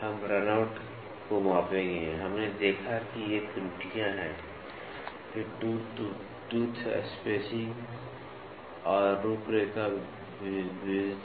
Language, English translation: Hindi, We will measure runout, we saw these are the errors then tooth to tooth variation, tooth to tooth spacing and profile variation